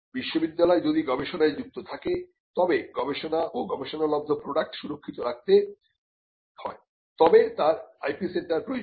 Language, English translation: Bengali, So, if the university engages in research and the research and the products of the research can be protected by IP, then the university requires an IP centre